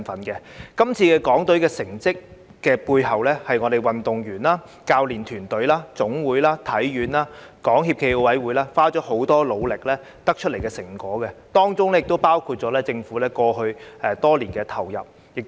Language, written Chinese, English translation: Cantonese, 在這次港隊成績背後，是運動員、教練團隊、總會、香港體育學院和港協暨奧委會花了很多努力得出的成果，當中亦包括政府過去多年投放的資源。, The results of the Hong Kong delegation in the Games are attributable to the tremendous efforts of the athletes coaching teams national sports associations the Hong Kong Sports Institute HKSI and the Sports Federation Olympic Committee of Hong Kong China as well as the resources devoted by the Government over the years